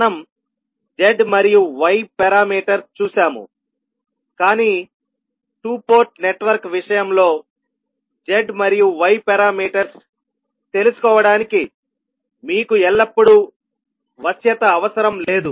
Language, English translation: Telugu, So we have seen z and y parameters, but in case of two Port network it is not necessary that you will always have a flexibility to find out the z and y parameters